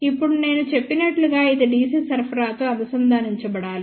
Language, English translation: Telugu, Now, as I had mention this is also to be connected to DC supply